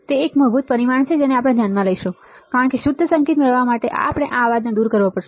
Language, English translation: Gujarati, It is a fundamental parameter to be considered, because we have to remove this noise to obtain the pure signal right